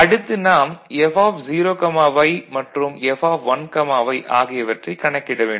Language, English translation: Tamil, So, we have to calculate F(0,y) and F(1,y)